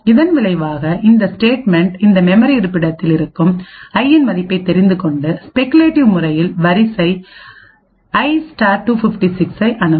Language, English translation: Tamil, As a result we would have this statement reading the value of this memory location into i and speculatively accessing array[i * 256]